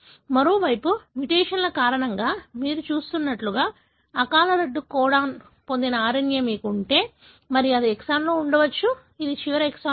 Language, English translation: Telugu, On the other hand, if you have an RNA which has got premature termination codon, like what you see, because of the mutation, and that could be present in a exon, which is not the last exon